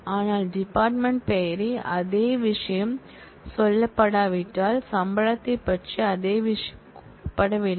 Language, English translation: Tamil, if the same thing is not said about department name same thing is not said about salary